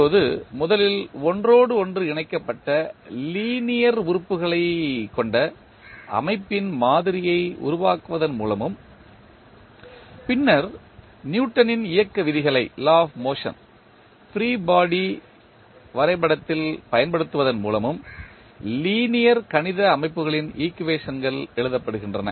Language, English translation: Tamil, Now, the equations of linear mathematical system are written by first constructing model of the system containing interconnected linear elements and then by applying the Newton’s law of motion to the free body diagram